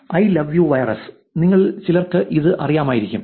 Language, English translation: Malayalam, So, I love you virus, some of you may know this